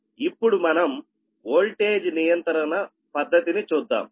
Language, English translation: Telugu, now we will come for that method of voltage control, right